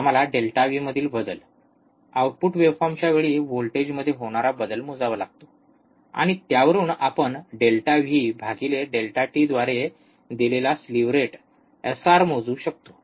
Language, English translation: Marathi, We have to measure the change in delta V, change in voltage at time delta t of the output waveform, and from that we can measure the slew rate SR which is given by delta V by delta t